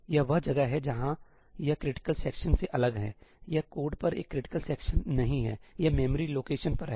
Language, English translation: Hindi, that is where it differs from critical section; it is not a critical section on the code it is on the memory location